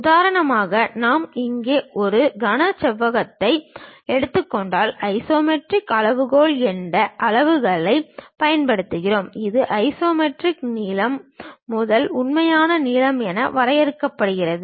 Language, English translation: Tamil, For example, if we are taking a cube here; we use a scale named isometric scale, this is defined as isometric length to true length